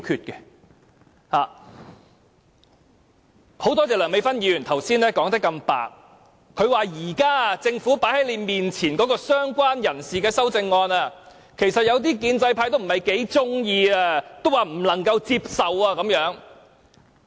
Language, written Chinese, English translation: Cantonese, 我很感謝梁美芬議員剛才說得如此坦白，她說現時政府放在他們面前的"相關人士"的修正案，有些建制派其實不太喜歡，不能夠接受。, I thank Dr Priscilla LEUNG for speaking so frankly just now . She said that actually some Members of the pro - establishment did not quite like the present amendment on related person tabled before them by the Government and they considered it unacceptable